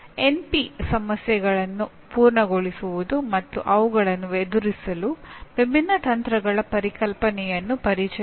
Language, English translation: Kannada, Introduce the concept of NP complete problems and different techniques to deal with them